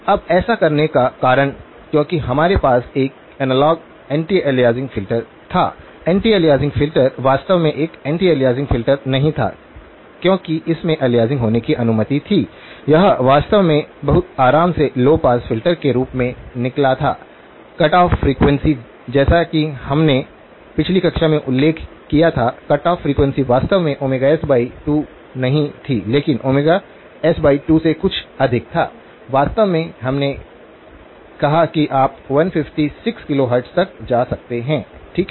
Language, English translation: Hindi, Now, the reason for doing that because we had an analogue anti aliasing filter; anti aliasing filter really was not an anti aliasing filter because it allowed aliasing to occur, this was actually turned out to be low pass filter with very relaxed criteria, the cut off frequency as we mentioned in the last class, cut off frequency was actually not omega s by 2 but something well beyond omega s by 2, in fact we said you could go as high as 156 kilohertz, okay